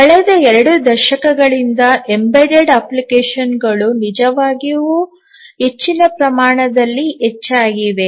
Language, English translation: Kannada, For last two decades or so, the embedded applications have really increased to a great extent